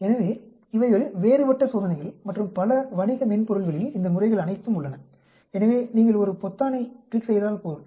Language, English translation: Tamil, So, these are the different test and many commercial softwares have all these methods available, so you just click a button